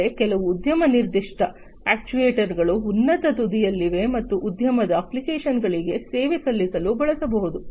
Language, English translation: Kannada, But there are some industry specific actuators that are at the higher end and could be used to serve industry applications